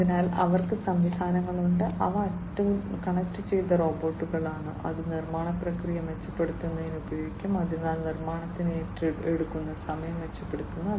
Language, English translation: Malayalam, So, they have systems, which are connected robots that can be used for improving the manufacturing process, so improving the time that it takes for manufacturing